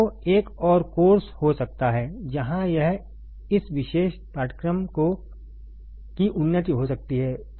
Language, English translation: Hindi, So, there can be another course where it can be advancement of this particular course ok